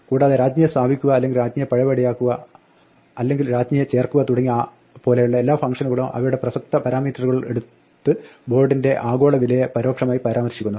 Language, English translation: Malayalam, And then all these functions like place queen or undo queen or add queen just take their relevant parameters and implicitly refer to the global value of board